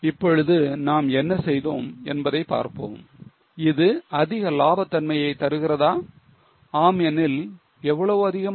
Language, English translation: Tamil, Now let us check what we have done whether it gives more profitability if yes how much more